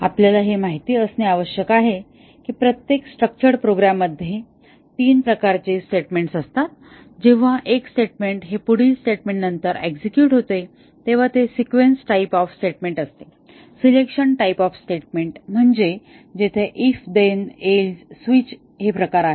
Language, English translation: Marathi, We need to know that every structured program consists of three types of statements, the sequence type of statements that is one statement when it is executes the next statement executes though they are sequence type of statement, selection type of statements these are if then else switch those are the selection statements and the iteration statements which are for while, do while etcetera those kind of loops